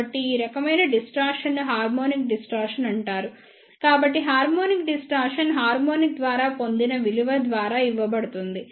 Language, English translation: Telugu, So, this type of distortion is known as the harmonic distortion, so the harmonic distortion is given by the value acquired by the harmonics